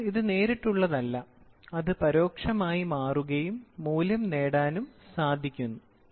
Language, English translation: Malayalam, So, it is not direct, it is becomes indirect and get the value